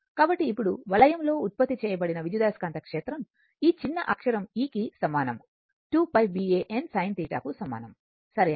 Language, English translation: Telugu, Now, therefore, EMF generated in the loop will be e is equal to small e is equal to your this small e is equal to 2 pi B A n sin theta, right